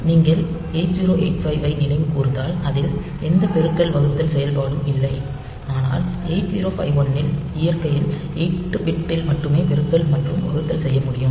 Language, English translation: Tamil, So, we have got multiplication, division, if you remember 8085, we do not have any multiplication division operation in 8085; but in a 8051, we have got multiplication and division though only 8 bit in nature